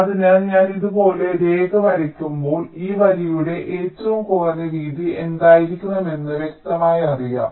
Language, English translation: Malayalam, so when i draw a line like this, it is implicitly known that what should be the minimum width of this line